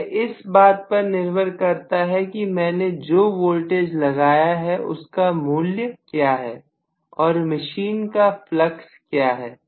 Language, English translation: Hindi, This is dependent upon what is the value of voltage that I have applied and what is the flux of the machine